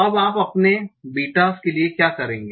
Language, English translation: Hindi, What will you do for your betas